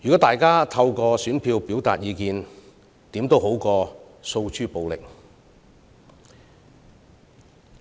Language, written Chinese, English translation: Cantonese, 大家透過選票表達意見，總比訴諸暴力好。, The expression of views through our votes is always more desirable than by violence